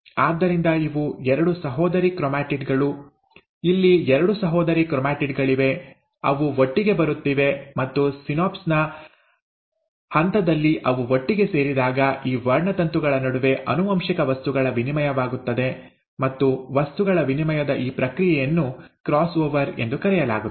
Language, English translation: Kannada, So this is two sister chromatids, there are two sister chromatids, they are coming together, and when they come together at the stage of synapse, there is an exchange of genetic material between these chromosomes, and this process of exchange of material is what is called as the cross over